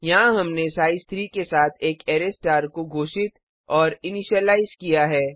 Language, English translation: Hindi, Here, we have declared and initialized an array star with size 3